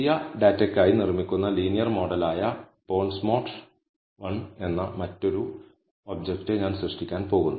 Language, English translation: Malayalam, So, then I am going to create another object called bonds mod one, which is the linear model that is being built for the new data